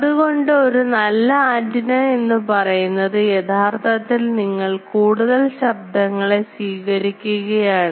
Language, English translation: Malayalam, So, if you use a good antenna then [laughter] actually you are inviting more noise